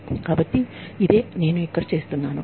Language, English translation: Telugu, So, this is what, I am doing here